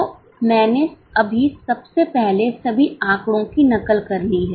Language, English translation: Hindi, So, I have just copied first of all the figures as it is